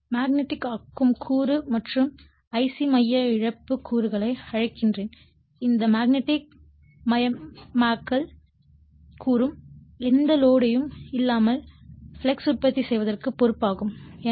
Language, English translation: Tamil, I m we call the magnetizing component and I c the core loss components this magnetizing component at no load is responsible for producing the flux